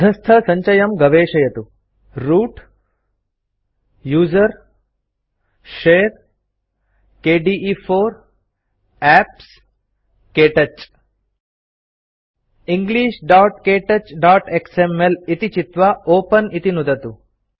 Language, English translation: Sanskrit, Browse the flowing folder path Root usr share kde4 apps Ktouch And select english.ktouch.xml and click Open